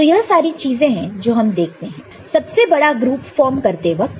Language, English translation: Hindi, So, these are the different things that you are looking for in while forming the largest group, ok